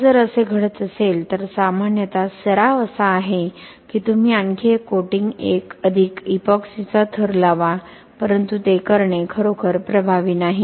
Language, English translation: Marathi, Now if this happens usually the practice is you apply one more coating 1 more layer of epoxy but that is also not really effective to do that